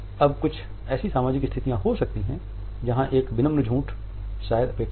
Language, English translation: Hindi, Now there are certain social situations where a polite lie is perhaps expected